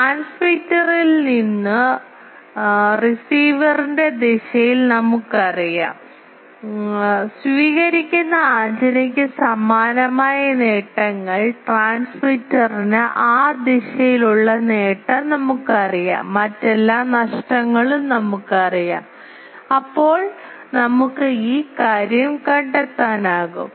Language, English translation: Malayalam, We the we know at the direction of the receiver from the transmitter, the gains similarly for the receiving antenna we know the gain to the trans transmitter that direction and we know all other these the losses then we can find this thing